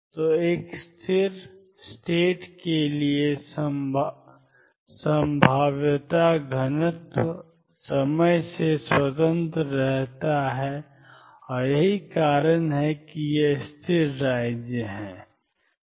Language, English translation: Hindi, So, for a stationary states the probability density remains independent of time and that is why these are stationary states